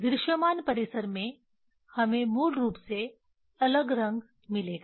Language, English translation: Hindi, In the visible range; we will get different color basically